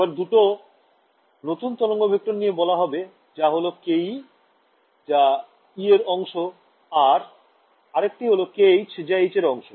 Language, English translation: Bengali, So, let me define two new wave vectors so, k e corresponding to the e part and a k h corresponding to the h part